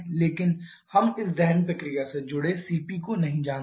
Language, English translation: Hindi, But we do not know the CP associated with this combustion process